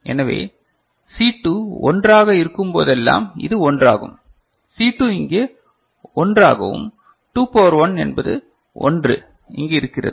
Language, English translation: Tamil, So, this one is 1 whenever C2 is 1, you see C2 is 1 over here and 2 to the power 1 is 1 over here C2 is 0 and this is 0